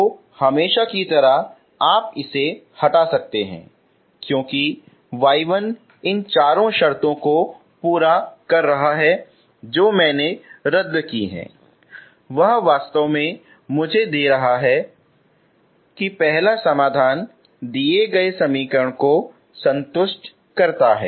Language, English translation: Hindi, So as usual so you can remove this since y 1 is satisfying these four terms whatever I cancelled is actually giving me because satisfying the this is the say first solution satisfies the given equation